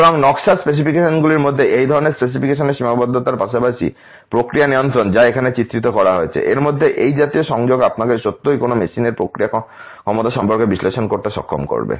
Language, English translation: Bengali, So, these kind of linkage between this specification limits in the design specifications as well as the process control which has been illustrated here would really able you to analyze about the process capabilities of a machine